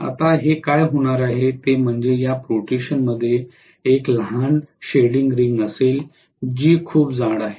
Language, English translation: Marathi, Now, what is going to happen is this protrusion will have a small shading ring, which is very thick